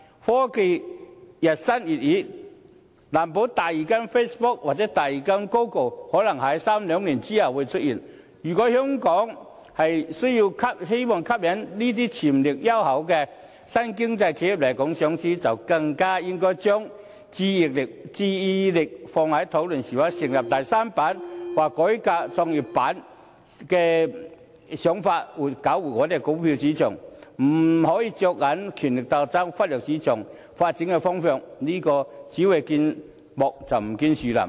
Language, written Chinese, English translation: Cantonese, 科技日新月異，難保第二間 Facebook 或第二間 Google 可能在兩三年後出現，如果香港希望吸引這些潛力優厚的新經濟企業來港上市，便更應該將注意力放在討論是否成立第三板或改革創業板上，設法搞活股票市場，不可以着眼於權力鬥爭，忽略市場發展的方向，這樣是只見樹木，而不見森林。, Technology is advancing rapidly and no one can tell whether another Facebook or Google will come into being two or three years later . If Hong Kong wants to attract such enterprises of the new economy with great potentials to list in Hong Kong it should focus its attention on discussing a third listing board or reforming the existing GEM for the revitalization of the local stock market . It must not focus on power struggle and ignore the trend of market development or it may fail to see the wood for the trees